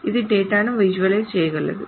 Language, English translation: Telugu, It can visualize data